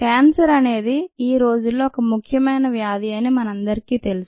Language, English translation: Telugu, we all know that cancer is an important disease now a days